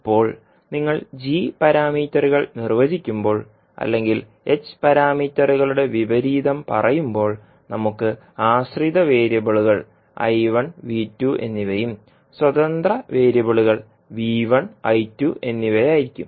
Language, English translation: Malayalam, Now, in this case when you are defining the g parameters or you can say the inverse of h parameters, we will have the dependent variables as I1 and V2, independent variable will be V1 and I2